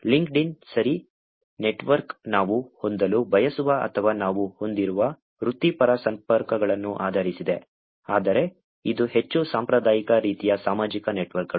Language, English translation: Kannada, LinkedIn , okay, the network is based on the professional connections that we would like to have or we have, but this is more the traditional type of social networks